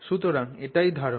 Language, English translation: Bengali, So, so this is the idea